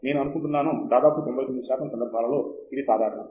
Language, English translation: Telugu, I think that is more or less common in 99 percent of the cases